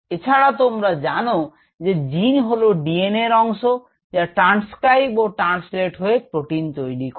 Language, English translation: Bengali, you know the gene which is a part of the d n, a that gets transcribed, translated to probably a protein